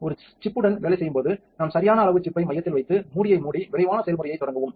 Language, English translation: Tamil, When working with a chip we take a chuck of the right size place the chip in the center, close the lid and start the quick process quick start just